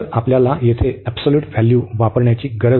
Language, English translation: Marathi, So, we do not have to use the absolute value here